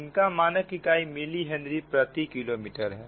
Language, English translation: Hindi, all this terms will come in milli henry per kilometre, right